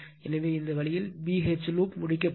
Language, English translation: Tamil, So, this way your B H loop will be completed right